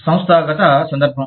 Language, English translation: Telugu, The institutional context